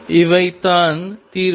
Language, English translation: Tamil, These are the solutions